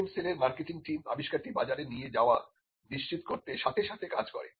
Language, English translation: Bengali, The marketing team of the IPM cell does the hand holding to ensure that the invention is taken to the market